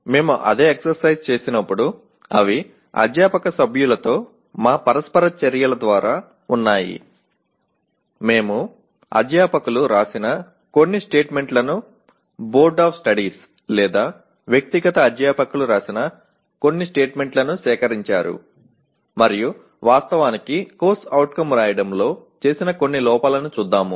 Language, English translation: Telugu, They are actually through our interactions with faculty members when we did the same exercise we collected some of the statements written by the faculty as either by Boards of Studies or by the individual faculty and let us look at some of the errors that are actually committed in writing a CO